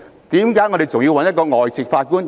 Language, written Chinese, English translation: Cantonese, 為何我們還要找外籍法官呢？, Why do we still need to invite foreign judges?